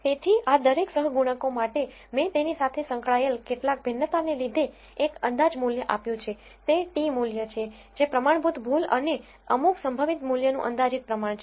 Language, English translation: Gujarati, So, for each of these coefficients, I am given an estimate value some variance associated with it a t value which is the ratio of estimate by the standard error and some probability value